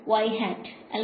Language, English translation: Malayalam, y hat right